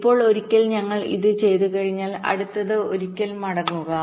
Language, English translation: Malayalam, ok, now, once we have done this, next, ok, just going back once